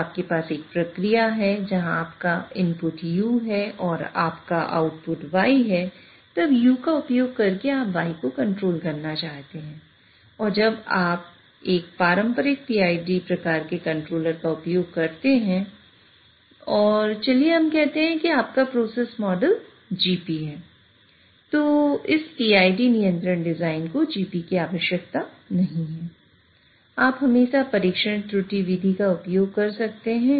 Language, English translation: Hindi, So, it does, so when you want to, when you have a process, where your input is U and your output is Y you want to control your y by using u and when you use a traditional p i sort of a control and let us say this is your process model gp so in order to design this so this PID control design does not need G